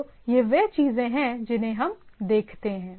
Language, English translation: Hindi, So, these are the things we look at